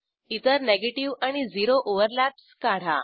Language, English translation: Marathi, Next, we will move to negative and zero overlaps